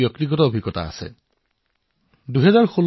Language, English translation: Assamese, I also have had one such personal experience in Gujarat